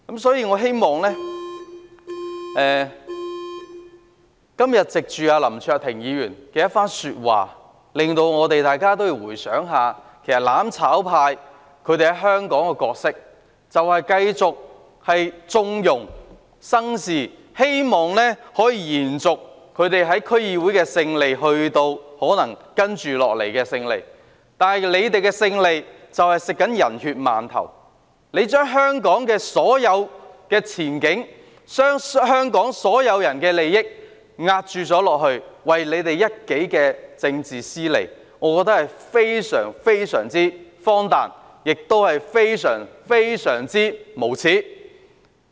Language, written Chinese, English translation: Cantonese, 所以，我希望林卓廷議員今天的一番話會令大家反思一下，"攬炒派"在香港的角色就是繼續縱容別人生事，以期他們在區議會取得的勝利可以延續至接下來的選舉，但他們為了取得勝利，正在吃"人血饅頭"，將香港所有前景、所有人的利益當作押注，為的只是他們一己的政治私利，我覺得非常荒誕，而且非常無耻。, Hence I hope Mr LAM Cheuk - tings speech today would facilitate our reflection . The role played by the mutual destruction camp in Hong Kong is to continue to wink at trouble makers with a view to extending the victories they won in the District Council Election to the coming election . However to achieve victories they are taking advantage of bloodshed putting all the prospects of Hong Kong and everyones interests at stake merely for their private political gains